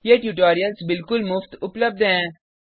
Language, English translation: Hindi, These tutorials are available absolutely free of cost